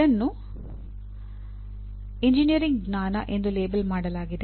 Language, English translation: Kannada, It is labelled as engineering knowledge